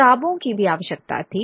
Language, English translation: Hindi, Books were also necessary